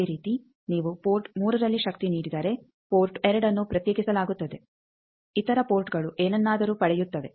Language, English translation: Kannada, Similarly if you give power at port 3 then port 2 is isolated other ports gets something then, port 4 if you give power then one is isolated